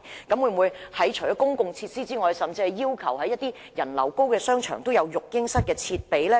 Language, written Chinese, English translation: Cantonese, 當局在考慮提供公共設施之餘，會否要求在人流較高的商場闢設育嬰室設備？, While the authorities are considering providing public facilities will they also require shopping centres with high patronage to provide baby - sitting rooms?